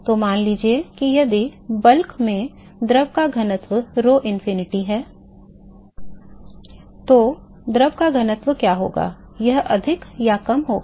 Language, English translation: Hindi, So, supposing if the density of the fluid in bulk is rho infinity, then, what will be the density of the fluid here it will be greater or lesser